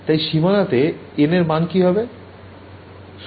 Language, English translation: Bengali, So, at the boundary, what is the value of n